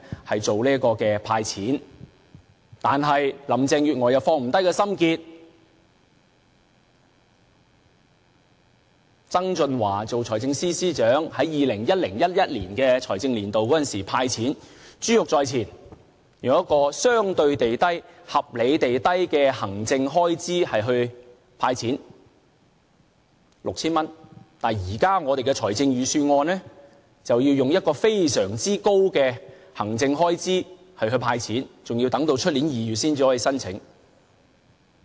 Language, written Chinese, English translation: Cantonese, 可是，林鄭月娥卻放不下心結，就是曾俊華為財政司司長時，在 2010-2011 財政年度"派錢"，珠玉在前，以相對地和合理地低的行政開支來"派錢 "6,000 元，但現在的預算案卻以非常高的行政開支來"派錢"，更要等至明年2月才可申請。, That is when John TSANG was the Financial Secretary he initiated the 2010 - 2011 fiscal year cash handout measure . In view of a successful precedent which handed out 6,000 per person with a relatively low administrative cost the current budget will hand out cash to the public with a very high administrative cost . And the public have to wait until February next year before they can apply for the cash handout